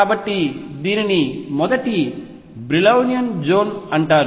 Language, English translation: Telugu, So, this is known as the first Brillouin zone